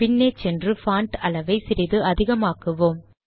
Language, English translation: Tamil, Now lets go back here and make the font slightly bigger